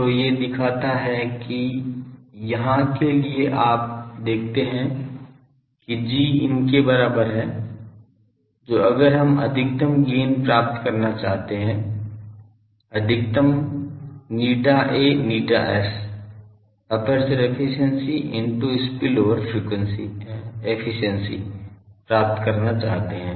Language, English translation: Hindi, So, these shows that the when we say that for here you see that G is equal to these so, if we want to maximise gain we want to maximise eta A eta S, aperture efficiency into spillover efficiency product